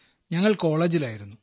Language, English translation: Malayalam, We were still in college